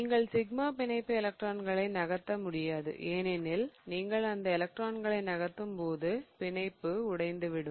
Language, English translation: Tamil, You more often do not or cannot move a sigma bond because a sigma bond electrons because as you move those electrons you are going to break the bond, right